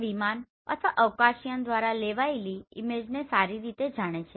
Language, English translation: Gujarati, This is well know image acquired through aircraft or spacecraft